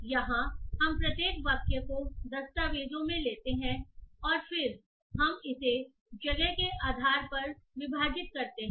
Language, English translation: Hindi, So here what we do is that we take each sentence in the documents and then we split it based on the space